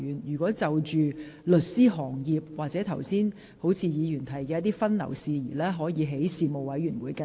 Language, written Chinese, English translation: Cantonese, 有關律師行業或剛才有議員提到的律師分流事宜，可在相關事務委員會跟進。, Members may follow up on matters related to the legal profession or the division of the legal profession as some Members have mentioned at the relevant Panels